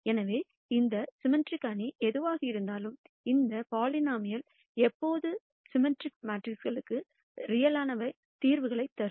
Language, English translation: Tamil, So, irrespective of what that symmetric matrix is, this polynomial would always give real solutions for symmetric matrices